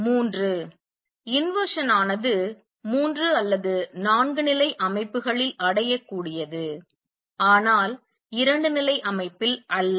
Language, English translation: Tamil, Three inversion is achievable in three or four level systems, but not in a two level system